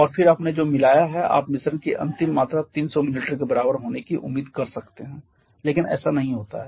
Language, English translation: Hindi, And then wants your mixed that you can expect the final volume of the mixture the should be equal to 300 millilitre, but that does not happen